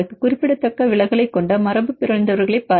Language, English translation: Tamil, And see the mutants which are having a significant deviation